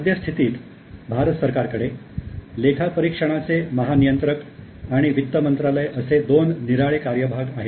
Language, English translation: Marathi, In India, the government has now, current government has Comptroller General of Audit and Ministry of Finance